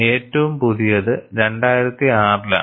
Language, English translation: Malayalam, And the latest one is with the 2006